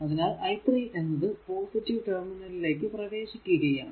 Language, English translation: Malayalam, And here i 3 actually entering into the positive terminal so, v 3 will be 12 i 3